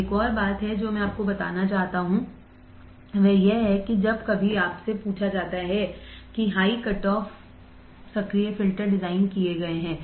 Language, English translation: Hindi, Now one more point I wanted to tell you is that when some sometimes you are asked that design high cutoff active filters